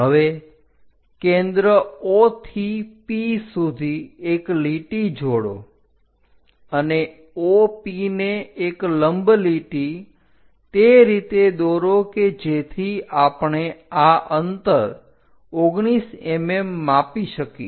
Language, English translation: Gujarati, Now, from center O to P join a line and draw a perpendicular line to OP in such a way that we are going to measure this distance 19 mm